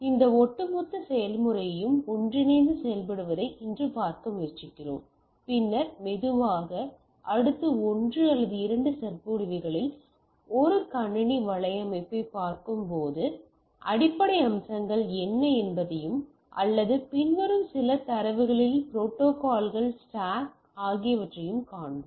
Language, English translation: Tamil, So, today we are trying to see that what makes this overall process works together and then slowly in next 1 or 2 lectures we will see that what are the basic features which we need to understand when you will when we are looking at a computer network or protocol stack in a following some standards